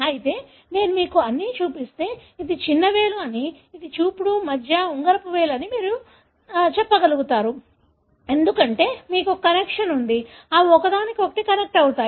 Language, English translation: Telugu, However, if I show you everything, then you will be able to tell that this is the small finger, this is index, middle, ring finger and so on, because you have a connection that, that each one connects to each other